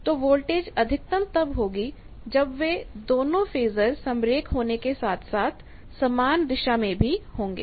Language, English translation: Hindi, So, voltage is maximum when those 2 are collinear and same direction